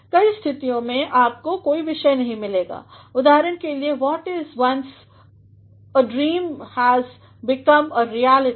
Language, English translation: Hindi, In many cases you will not find that there is a subject, for example, what was once a dream has become a reality